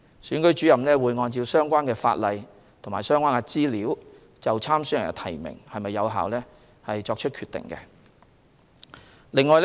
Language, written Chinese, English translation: Cantonese, 選舉主任會按相關法例和相關資料，就參選人的提名是否有效作出決定。, The Returning Officer shall in accordance with the law and having considered the relevant information decide whether or not a person is validly nominated as a candidate